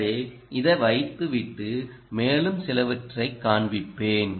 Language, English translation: Tamil, so i will put this back and i will show you something more